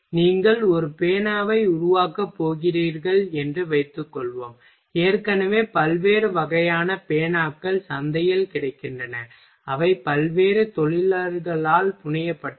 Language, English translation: Tamil, Suppose that you are going to make a pen so, that already variety of pen are available in market which are fabricated by various industry